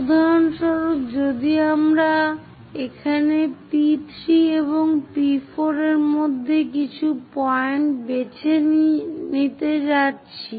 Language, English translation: Bengali, For example, if we are going to pick some point here in between P3 and P4